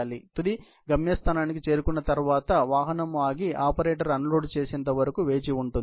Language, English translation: Telugu, So, after reaching the final destination, the vehicle stops and waits for the operator to perform a direct unloading